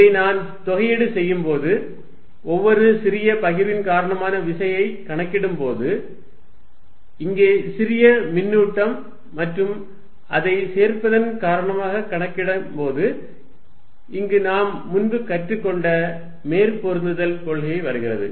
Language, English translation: Tamil, When I integrate this, when I am calculating force due to each small distribution, small charge here and adding it up, which was a principle of superposition we learnt earlier